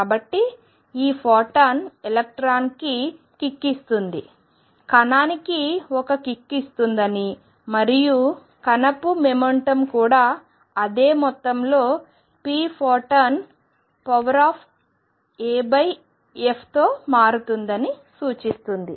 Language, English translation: Telugu, And the photon therefore, gives a kick to the electron and this implies that the photon therefore, gives a kick to the particle and that implies that the momentum of particle also changes by the same amount p